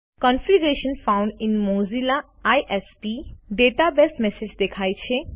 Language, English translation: Gujarati, The message Configuration found in Mozilla ISP database appears